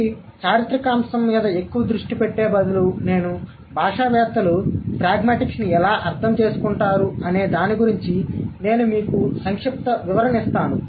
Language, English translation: Telugu, So, what I'm going to do instead of focusing more on the historical aspect, I would just give you a brief overview of how the linguists understand pragmatics